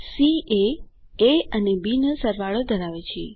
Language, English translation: Gujarati, c holds the sum of a and b